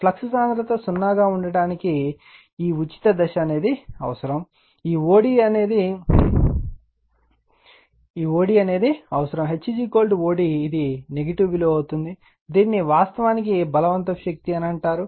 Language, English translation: Telugu, This is your whatever free step is required right to make the flux density is 0, this o d is required that is your H is equal to o d, this will be negative value, this is actually called coercive force right let me clear it